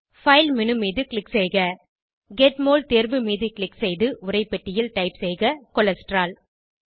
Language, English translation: Tamil, Click on File menu Click on Get Mol option, in the text box type Cholesterol